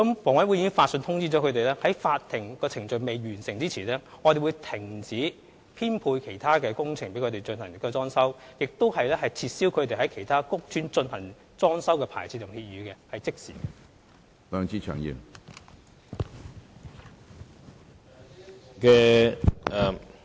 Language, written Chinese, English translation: Cantonese, 房委會已經發信通知他們，在法律程序未完結前，當局會停止編配他們駐邨/苑承辦其他工程，亦會撤銷他們在其他屋邨承辦裝修工程的牌照/協議，是即時進行的。, HA has informed them through correspondence that prior to the completion of legal proceedings the authorities will stop arranging them to conduct other works and also revoke their licencesagreements for undertaking decoration works in other estatescourts . These actions will be taken immediately